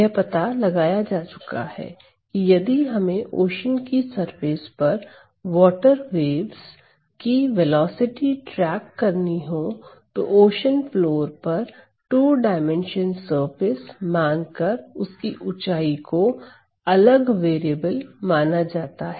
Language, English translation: Hindi, Now, it has been found that if we were to track the velocity of the water waves, the velocity of the water waves on the surface of the ocean and treating the ocean; the ocean floor as a two dimensional surface with the height separately treated as a variable